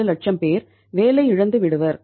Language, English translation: Tamil, 47 lakh people will come on the road